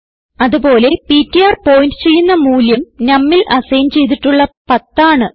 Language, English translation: Malayalam, Also the value pointed by ptr is 10 which was assigned to num